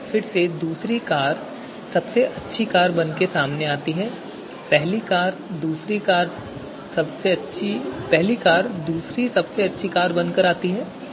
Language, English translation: Hindi, So here again you know second car comes out to be the best car and the first car comes out to be the second car